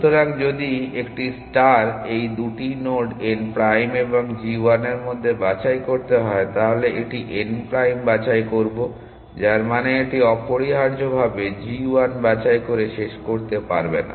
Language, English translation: Bengali, So, if a star at to pick between these 2 nodes n prime and g 1, it would pick n prime which mean it cannot terminate by picking g 1 like this essentially